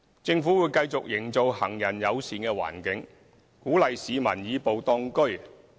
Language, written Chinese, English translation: Cantonese, 政府會繼續營造行人友善環境，鼓勵市民"以步當車"。, The Government will continue building a pedestrian - friendly environment to encourage citizens to walk more